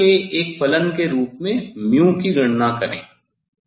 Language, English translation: Hindi, calculate mu as a function of delta